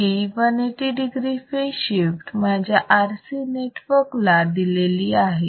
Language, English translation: Marathi, So, this 180 degree phase shift is provided to my RC network